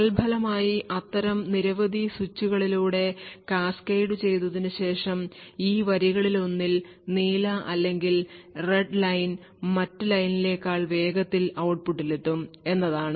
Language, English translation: Malayalam, So, as a result, after cascading through a number of such switches what we get is that one of these lines either the blue or the Red Line would reach the output faster than the other line